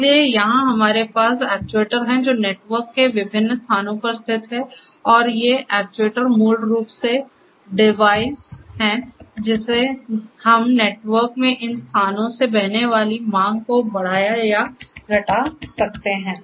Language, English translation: Hindi, So, here we have the actuators which are located at different locations of the network and these actuators are basically control devices, where we can increase or decrease the demand flowing through these flowing through these locations in the network